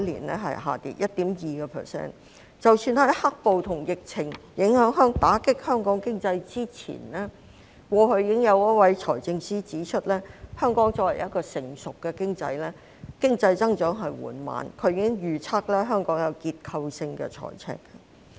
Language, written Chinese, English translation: Cantonese, 即使香港在受到"黑暴"和疫情打擊經濟之前，過去已經有一位財政司司長指出，香港作為一個成熟的經濟體，經濟增長緩慢，他已經預測香港會出現結構性財赤。, Even before Hong Kongs economy was hit by the black - clad violence and the epidemic a former Financial Secretary had already pointed out that Hong Kong was a mature economy with slow economic growth and he predicted that Hong Kong would face structural deficit